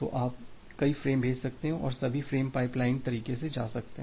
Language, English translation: Hindi, So, you can send multiple frames and all the frames can go in a pipelined way